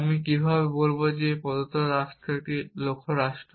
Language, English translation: Bengali, How do I say that a given state is a goal state